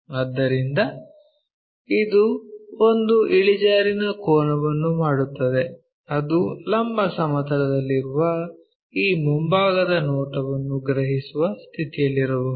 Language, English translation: Kannada, So, it gives us an inclination angle which we may be in a position to sense on this front view which is on the vertical plane